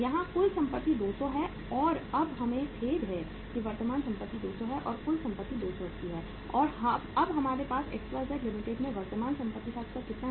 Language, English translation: Hindi, Total assets are 200 here and now we have the sorry current assets are 200 and total assets are 280 and now we have the level of current assets in XYZ Limited is how much